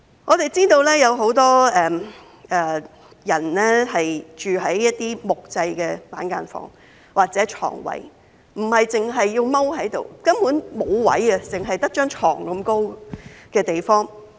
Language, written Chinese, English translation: Cantonese, 我們知道有很多人住在木製板間房或床位，他們要蹲下來，因為根本沒有空間，只有一張床那麼高的地方。, We know that a lot of people are living in wooden cubicles or bedspaces and they have to squat because there is no room at all and the space to move around is only at bed height